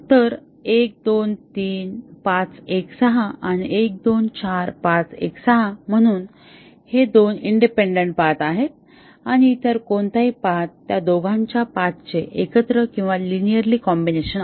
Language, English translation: Marathi, So, 1, 2, 3, 5, 1, 6 and 1, 2, 4, 5, 1, 6, so these are two independent paths and any other paths are subsumed or linear combination of the paths of those two